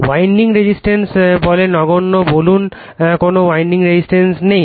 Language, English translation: Bengali, Winding resistance say are negligible, say there is no winding resistance